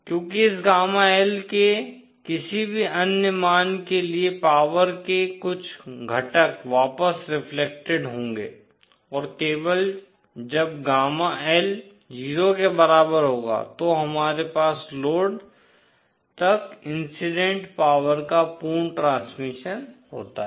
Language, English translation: Hindi, Because for any other values of this gamma L some component of power will be reflected back and only when gamma L is equal to 0 we have complete transmission of the incident power to the load